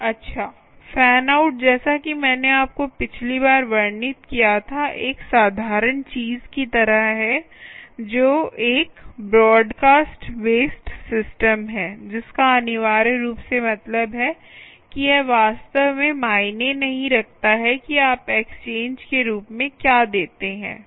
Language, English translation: Hindi, well, fan out, as i already described to you last time, is like a simple thing, which is a broadcast based system, which essentially means that it doesnt really matter what you give as an exchange